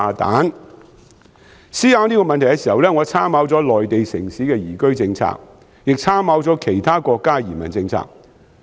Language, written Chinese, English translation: Cantonese, 在思考這個問題時，我參考了內地城市的移居政策，亦參考了其他國家的移民政策。, In thinking about this issue I have taken a cue from the migration policies of Mainland cities as well as those of other countries